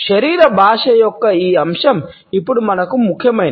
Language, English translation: Telugu, This aspect of body language is now important for us